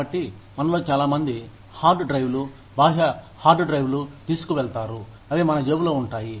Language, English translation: Telugu, So, hard drives, external hard drives, a lot of us carry, that those, in our pockets